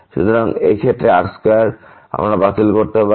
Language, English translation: Bengali, So, in this case this square we can cancel out